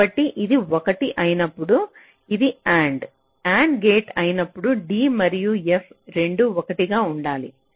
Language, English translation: Telugu, so when it will be one, when this is a and gate, both d and f should be one